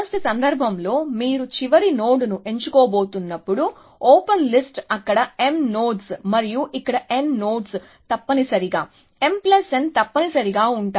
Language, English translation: Telugu, In the worst case, when you are just about to pick the last node, open list would be m nodes there, and n nodes here essentially, m plus n essentially